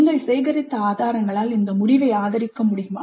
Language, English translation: Tamil, Can this conclusion be supported by the evidence that you have gathered